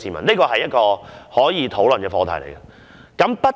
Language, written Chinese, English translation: Cantonese, 這是一個可以討論的課題。, This is a subject that we can discuss